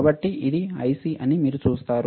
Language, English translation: Telugu, So, you see this is the IC